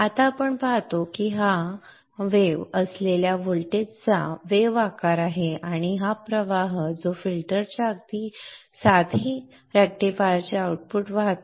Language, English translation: Marathi, Now we see that this is the wave shape of the voltage with a ripple and this is the current that is flowing output of the rectifier just before the filter